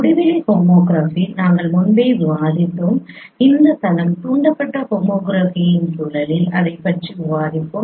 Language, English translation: Tamil, Infinite homography we discussed earlier also and let us discussed it in the context of this plane induced homography